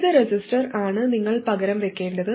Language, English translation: Malayalam, And what resistor should you replace it with